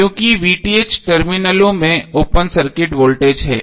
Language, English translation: Hindi, Because VTh is open circuit voltage across the terminals